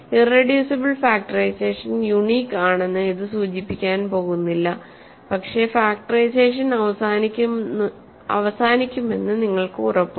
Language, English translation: Malayalam, It is not going to imply that irreducible factorization is unique, but at least you are guaranteed that factorization terminates